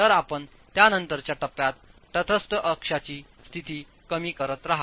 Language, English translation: Marathi, So you keep reducing the position of the neutral axis in the subsequent stages